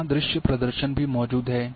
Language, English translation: Hindi, Now, visual representation is very much there